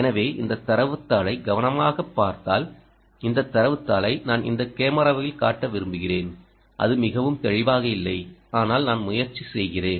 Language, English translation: Tamil, so if you look carefully into this data sheet here which i would like to show on this camera, this data sheet, ah, its not very clear, but let me try